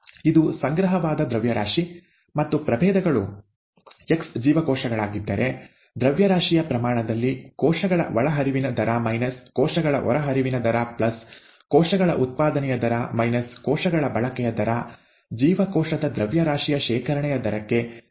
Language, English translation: Kannada, This is an accumulated mass; and if the species happens to be the cells x, then rate of input of cells minus rate of output of cells mass in terms of mass, plus the rate of generation of cells, minus the rate of consumption of cells equals the rate of accumulation of the cell mass